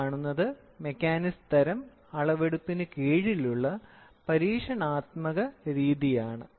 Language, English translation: Malayalam, So, this is experimental method which falls under mechanism type of measurement we do